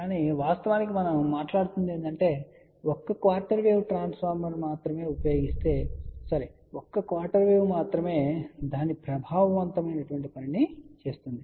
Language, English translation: Telugu, So, we actually speaking are getting only one quarter wave doing it is effective job